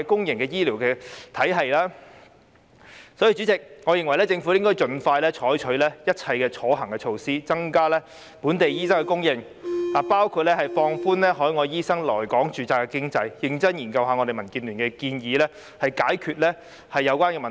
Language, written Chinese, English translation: Cantonese, 因此，代理主席，我認為政府應該盡快採取一切可行的措施，增加本地醫生的供應，包括放寬海外醫生來港註冊的機制，認真研究民建聯的建議，以解決有關的問題。, Therefore Deputy President I think the Government should expeditiously adopt all practicable measures to increase the supply of local doctors which include relaxing the mechanism for the registration of overseas doctors in Hong Kong and seriously study the proposals put forward by DAB in order to resolve the problem